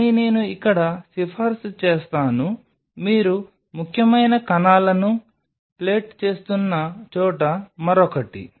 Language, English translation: Telugu, But what I will recommend here is something else where you are plating the cells that is important